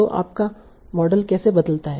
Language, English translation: Hindi, So how does your model change